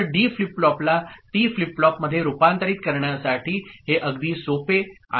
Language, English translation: Marathi, So, this is very simple for converting D flip flop to T flip flop ok